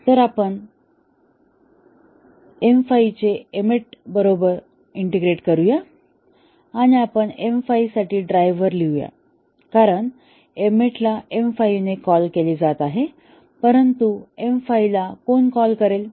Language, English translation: Marathi, So, first we integrate M 5 with M 8, and we write a driver for M 5, because M 8 is being called by M 5, but who would call M 5